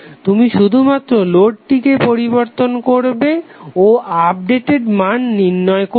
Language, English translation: Bengali, You have to just simply change the load and find out the updated value